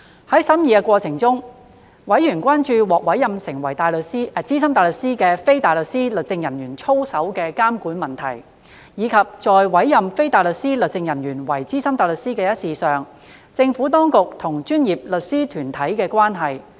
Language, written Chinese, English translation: Cantonese, 在審議的過程中，委員關注獲委任為資深大律師的非大律師律政人員操守的監管問題，以及在委任非大律師律政人員為資深大律師一事上，政府當局與專業律師團體的關係。, During the course of scrutiny members were concerned about the regulation of the conduct of a legal officer who was appointed as SC and the relationship between the Government and legal professional bodies in respect of the appointment of legal officer as SC